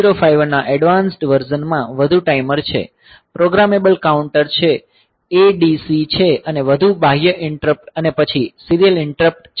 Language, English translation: Gujarati, So, they so, the advanced version of 8 0 5 1 that has got more timers, programmable counter that is ADC and more external interrupt and then serial interrupts